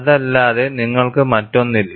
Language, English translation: Malayalam, You cannot have anything other than that